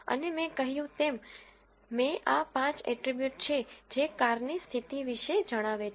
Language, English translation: Gujarati, And I as I mentioned earlier this 5 are the attributes that tells about the condition of the car